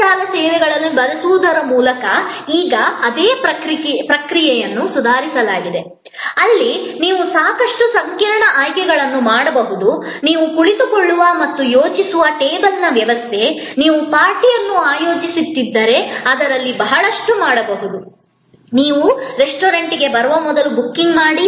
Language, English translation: Kannada, And that same process as now been improved a lot by using of a internet services, where you can do a lot of complicated selection, arrangement of the table where you will sit and think, if you are arranging a party, a lot of that can be now done remotely when before you arrive at the restaurant